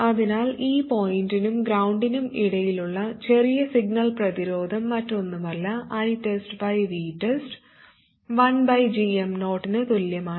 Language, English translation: Malayalam, So the small signal resistance seen between this point and ground is nothing but V test by I test equals 1 over GM0